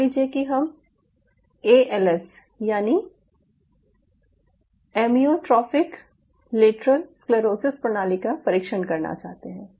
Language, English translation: Hindi, say, for example, i wanted to test a system for als amyotrophic lateral sclerosis